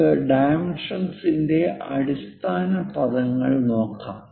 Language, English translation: Malayalam, Let us look at basic terminology of dimensions